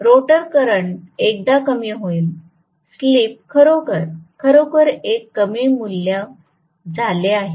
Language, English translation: Marathi, The rotor current will get decreased once; the slip becomes really really a small value